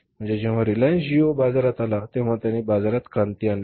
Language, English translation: Marathi, When Reliance geo came in the market it brought a revolution in the market